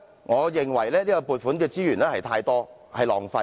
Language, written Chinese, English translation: Cantonese, 我認為這項撥款太多，因而造成浪費。, I think the sum of this funding item is too large resulting in waste